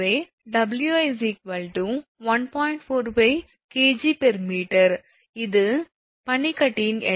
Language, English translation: Tamil, 45 kg per meter, this is the weight of the ice